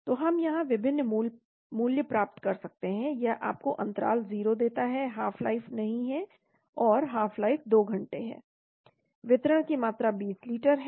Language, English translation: Hindi, So we can get different values here, it gives you the interval 0, half life is missing and half life is 2 hrs, volume of distribution is 20 litres